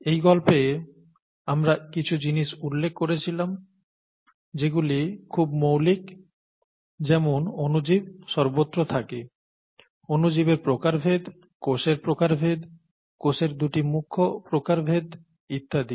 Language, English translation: Bengali, And we picked up a few things that are fundamental from that story, such as microorganisms are there everywhere, the various types of microorganisms, the various types of cells, the two major types of cells and so on